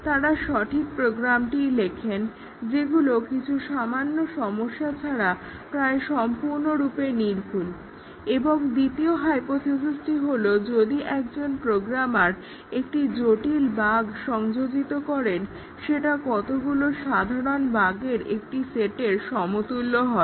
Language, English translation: Bengali, They write the right programs which are almost correct except in for some minor problems and the second assumption is that even if a programmer introduced a complex bug that is equivalent to a set of simple bugs